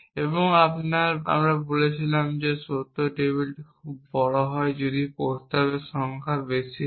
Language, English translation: Bengali, And we said that truth tables are too large very often if the number of proposition is high